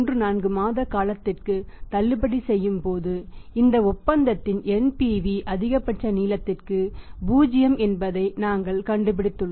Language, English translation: Tamil, 34 months here we are finding out is that the NPV of this deal is 0 for this maximum length